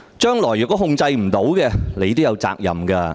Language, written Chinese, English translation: Cantonese, 日後若無法控制市民的怒火，你也有責任。, If the fury of the public cannot be controlled you too will be held responsible